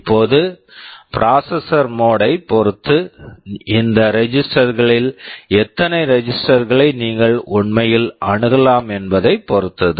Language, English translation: Tamil, Now, depending on the processor mode, it depends how many of these registers you can actually access